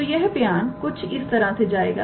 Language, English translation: Hindi, So, the statement goes like this